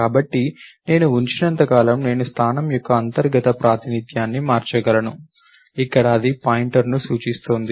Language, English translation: Telugu, So, it does not matter if as long as I keep, I can change the internal representation of position, here it is pointing to the pointer